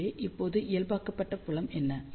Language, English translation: Tamil, So, what is now the normalized field